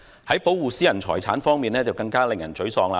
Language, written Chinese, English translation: Cantonese, 在保護私人財產方面，更加令人沮喪。, When it comes to the protection of private ownership of property it is even more frustrating